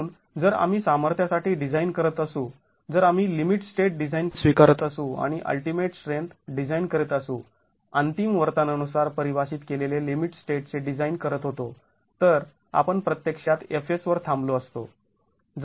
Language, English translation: Marathi, So if we were designing for strength, if we were adopting limit state design and doing ultimate strength design, designing at limit state defined by ultimate behavior, then we would have actually stopped at F